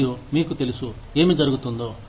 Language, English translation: Telugu, And, you know, what is going on